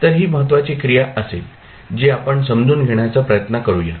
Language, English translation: Marathi, So, this would be the important activity which we will try to understand